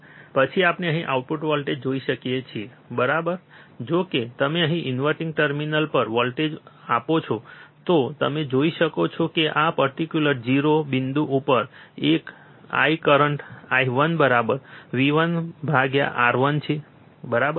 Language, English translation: Gujarati, Output voltage, then we can see here, right that if you apply voltage at the inverting terminal, you can see that I the current at this particular point I 1 would be V 1 by R 1, right